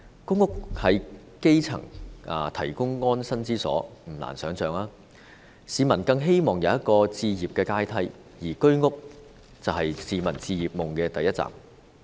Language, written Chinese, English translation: Cantonese, 公屋為基層提供安身之所，而不難的想象是，市民更希望有一個置業的階梯，而居者有其屋便是市民置業夢的第一站。, Public rental housing provides the grass roots with a roof over their heads and it is imaginable that the public all the more wishes to have a ladder to home ownership and to this end the Home Ownership Scheme HOS is the first stop